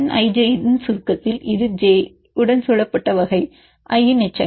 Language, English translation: Tamil, In summation of N ij then which are the residues of type i which is surrounded by this with j